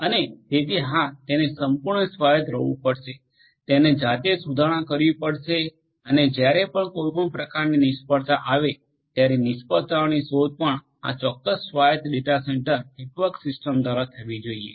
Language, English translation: Gujarati, And so they have to be yes fully autonomous they have to repair on their own and whenever there is some kind of failure the detection of the failure should also be done by this particular autonomous data centre network system